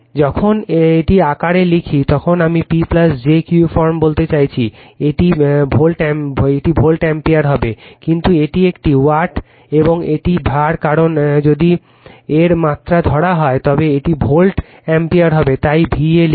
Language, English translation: Bengali, When you write this in form, I mean P plus jQ form, it will be volt ampere right, but this one is watt, and this one is var because, if you take its magnitude, it will be volt ampere that is why we write VA